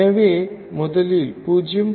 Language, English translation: Tamil, So, let us first write 0